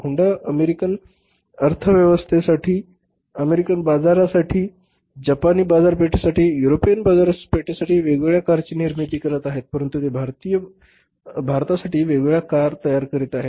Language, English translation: Marathi, Honda is manufacturing different cars for American economy, American market for the Japanese market for the European market, but they are manufacturing different cars for India